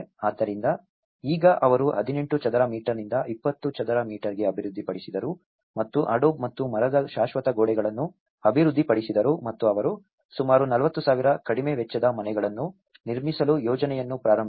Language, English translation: Kannada, So, now what they did was they developed from 18 square meters to 20 square meters and the permanent walls of adobe and timber and they launched the project build about 40,000 low cost houses